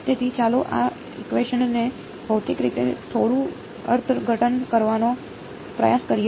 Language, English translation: Gujarati, So, let us try to interpret this equation a little bit physically